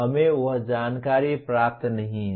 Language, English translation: Hindi, We do not receive that information